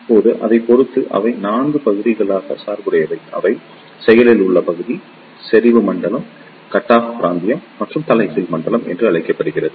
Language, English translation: Tamil, Now, depending upon that they can be biased into 4 regions; they are known as Active Region, Saturation Region, Cut off Region and Inverted Region